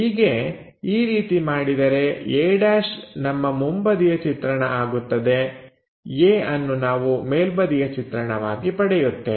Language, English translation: Kannada, Once we are done this a’ is the front view a is the top view we will get